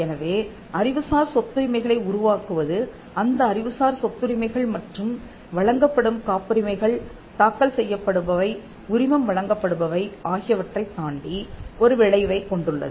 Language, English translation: Tamil, So, setting up intellectual property rights has an effect beyond just the IPR and the patents that are granted, filed and licensed